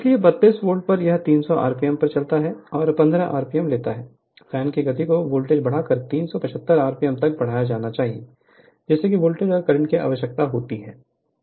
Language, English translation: Hindi, So, at 32 volt it runs at 300 rpm and takes 15 ampere, the speed of the fan is to be raised to 375 rpm by increasing the voltage, find the voltage and the current required right